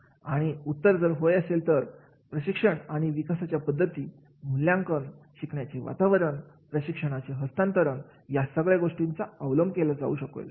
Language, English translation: Marathi, And if the answer is yes, then training and development methods, the evaluation, learning environment, transfer of training that will be implemented